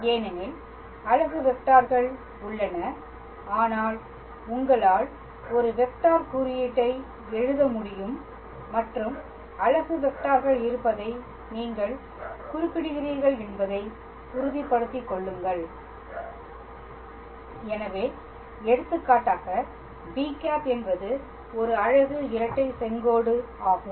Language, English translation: Tamil, Because there are unit vectors, but you can also write a vector notation and make sure you specify that there are unit vectors; so, for example, b is a unit binormal